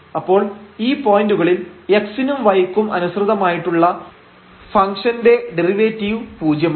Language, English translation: Malayalam, So, here the function derivative with respect to x and with respect to y both are 0 at these points